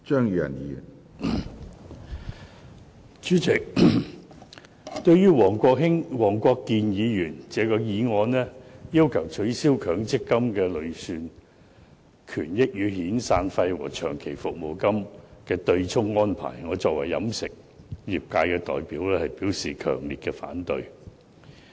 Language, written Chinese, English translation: Cantonese, 主席，對於黃國健議員的議案，要求取消強制性公積金的累算權益與遣散費和長期服務金的對沖安排，我代表飲食業界表示強烈反對。, President on behalf of the catering industry I strongly oppose the motion moved by Mr WONG Kwok - kin who calls for abolishing the use of the accrued benefits derived from the Mandatory Provident Fund MPF to offset severance payments and long service payments